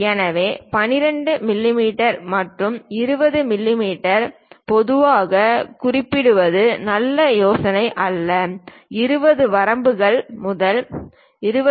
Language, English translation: Tamil, So, 12 mm or 20 mm usually is not a good idea to indicate, its always good to mention 20 ranges to 20